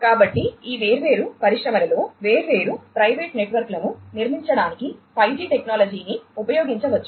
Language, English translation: Telugu, So, 5G technology could be used to build different private networks within these different industries